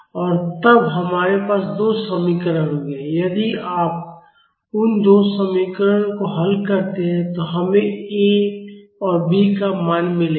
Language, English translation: Hindi, And then we will have two equations; if you solve those two equations, we will get the value of A and B